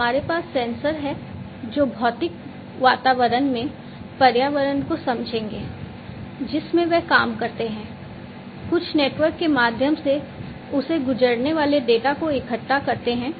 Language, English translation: Hindi, So, we have over here, we have sensors, which will sense the environment in the physical environment in which they operate, collect the data pass it, through some network